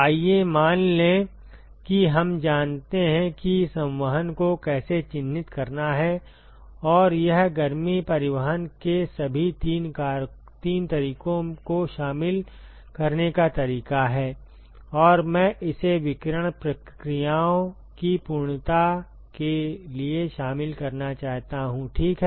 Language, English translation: Hindi, Let us assume that we know how to characterize convection and this is the way to include all three modes of heat transport and I want to include this for sake of completeness of radiation processes ok